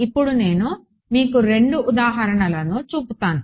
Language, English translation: Telugu, So, we will take I mean I will show you two examples